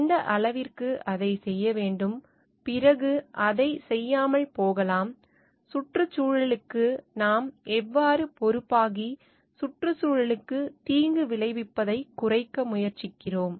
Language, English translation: Tamil, And then to what extent it should be done, after that like it may not be done and how do we take become responsible towards the environment and try to provide less harm to the environment